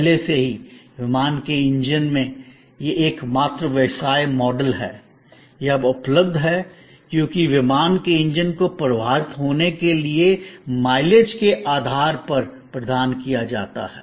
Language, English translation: Hindi, Already, in aircraft engines, this is the only business model; that is now available, because aircraft engines are provided on the basis of mileage to be flown